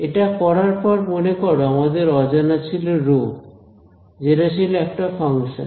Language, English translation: Bengali, Now having done this remember are unknown was this rho which was a function